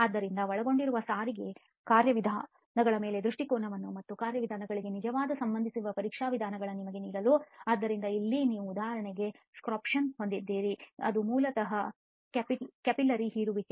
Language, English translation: Kannada, So just to give you some perspective of the transport mechanisms that are involved and the tests methods that actually relate to those mechanisms, so here you have for example sorption which basically is capillary suction